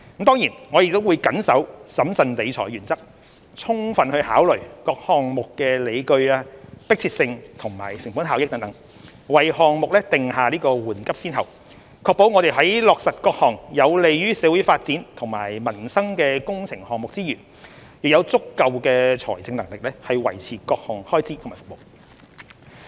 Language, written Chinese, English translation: Cantonese, 當然，我們亦會緊守審慎理財的原則，充分考慮各項目的理據、迫切性及成本效益等，為項目訂下緩急先後，確保我們在落實各項有利於社會發展和民生的工程項目之餘，亦有足夠財政能力維持各項開支和服務。, We will also adhere to the principle of financial prudence and accord priorities to projects taking into consideration their justifications urgency and cost - effectiveness etc . This ensures that the Government maintains the financial capabilities to meet public expenditure and services while implementing works projects for promoting the development of our society and improving peoples livelihood